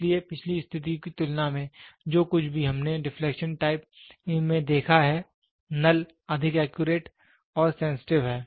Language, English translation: Hindi, So, compared to the previous condition, whatever we have seen in deflection type, the null is much more accurate and sensitive